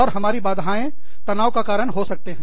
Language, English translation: Hindi, And, we could have, hindrance stressors